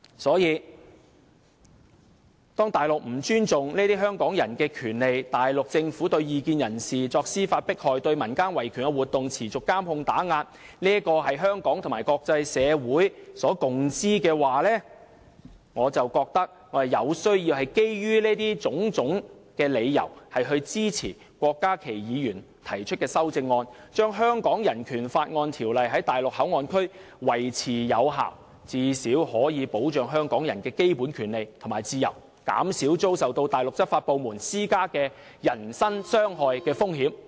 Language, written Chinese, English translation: Cantonese, 所以，當內地不尊重香港人這些權利，當內地政府對異見人士作司法迫害、對民間維權活動持續進行監控及打壓時——這是香港及國際社會所共知的——我覺得我必須基於上述種種理由，支持郭家麒議員提出的修正案，令《人權法案條例》在內地口岸區維持有效，最少可以保障香港人的基本權利和自由，減少他們遭受內地執法部門施加人身傷害的風險。, Therefore since the Mainland does not respect these rights of Hong Kong people in view of the Mainland Governments persecution of dissidents through the judicial process and the continual surveillance and suppression of human rights activists―this is common knowledge in Hong Kong and the international community―I think that based on the foregoing reasons I must support the amendment proposed by Dr KWOK Ka - ki so that BORO will remain in force at MPA . At least this can protect the fundamental rights and freedoms of Hong Kong people and reduce the risk of their being subjected to physical harm caused by the Mainland law enforcement agencies